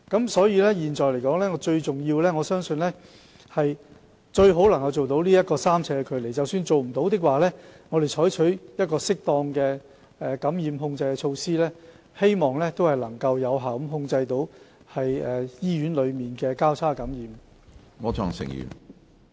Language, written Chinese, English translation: Cantonese, 我相信現在最重要的是，盡量做到維持3呎的病床距離，而即使做不到，我們仍會採取適當的感染控制措施，以期有效控制醫院內交叉感染的情況。, In my view the most important task now is to maintain the distance between beds at 3 ft as far as possible and even when this cannot be achieved proper infection control measures will be adopted to exercise effective control on cross - infection in hospital